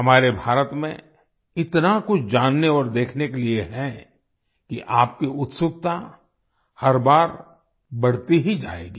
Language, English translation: Hindi, There is so much to know and see in our India that your curiosity will only increase every time